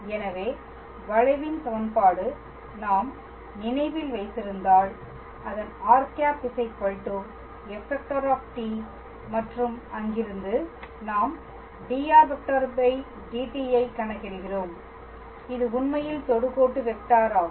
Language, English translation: Tamil, So, the equation of the curve if we remember, its r is equals to f t and from there we were calculating dr dt which is actually the tangent vector